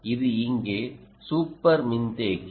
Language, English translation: Tamil, right, this is super capacitor here